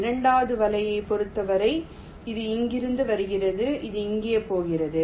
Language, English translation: Tamil, for the second net, it is coming from here, it is going here